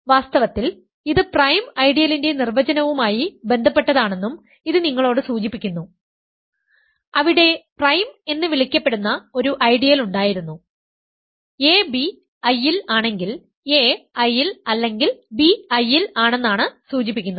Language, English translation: Malayalam, And in fact, this also suggests to you that this is related to the definition of prime ideal, there it was an ideal called prime if ab is in I implies a is in I or b is in I